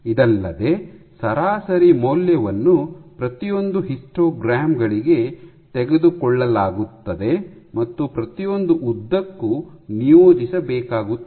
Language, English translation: Kannada, You know, you have to take this value these mean values of each of the histograms and you have to assign this each of these lengths